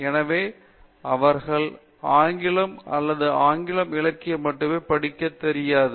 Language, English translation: Tamil, So, they donÕt know to come for broad area of studying English or English literature only